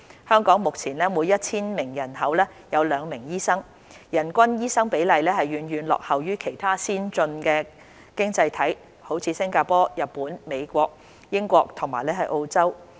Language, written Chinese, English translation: Cantonese, 香港目前每 1,000 名人口有兩名醫生，人均醫生比例遠遠落後於其他先進經濟體如新加坡、日本、美國、英國和澳洲。, In terms of per capita doctor ratio there are 2 doctors per 1 000 population in Hong Kong currently lagging far behind that in other advanced economies including Singapore Japan the United States the United Kingdom and Australia